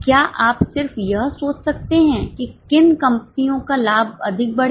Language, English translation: Hindi, Can you just think which company's profit will increase more